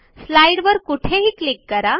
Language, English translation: Marathi, Click anywhere on the slide